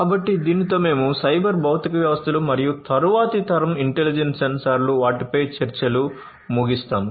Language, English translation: Telugu, So, with this we come to an end of cyber physical systems and next generation intelligent sensors, discussions on them